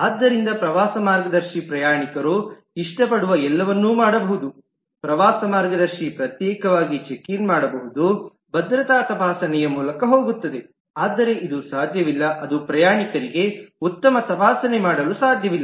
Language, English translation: Kannada, the passenger, like tour guide, can individually check in, will go through the security screening, but this is not possible, that is, a passenger cannot do a good checking